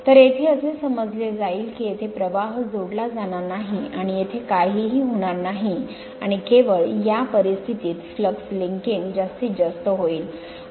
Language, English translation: Marathi, So, there will be assuming there will be no flux linking here and nothing will be here, and only under this condition flux linking will be maximum